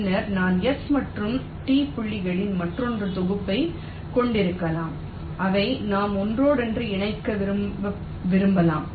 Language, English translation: Tamil, later on i may be having another set of s and t points which we may want to interconnect